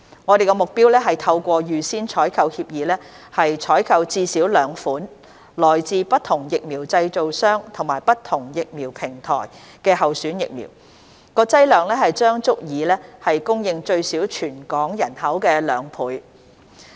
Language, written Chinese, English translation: Cantonese, 我們的目標是透過預先採購協議，採購至少兩款來自不同疫苗製造商及不同疫苗平台的候選疫苗，劑量將足以供應最少全港人口的兩倍。, Our goal is to procure at least two candidate vaccines from different vaccine developers and different vaccine platforms under APAs . The doses procured would serve at least twice the Hong Kong population